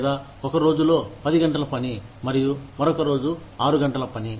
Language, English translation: Telugu, Or, ten hours of work on one day, and six hours work on the other day